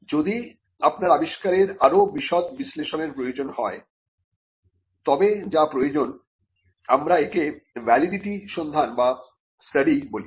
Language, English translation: Bengali, If you require a more detailed analysis of the invention, then what is needed is what we called a validity search or a validity study